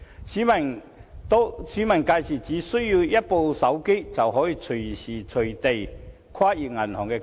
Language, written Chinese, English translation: Cantonese, 市民屆時只需要一部手機，便可隨時隨地進行跨銀行結帳。, By then members of the public will only need a mobile phone for inter - bank settlements which can be conducted anytime anywhere